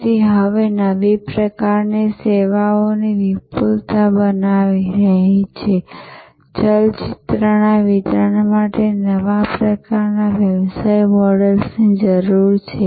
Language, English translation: Gujarati, It is now creating a plethora of new types of services, new types of business models need for delivery of movies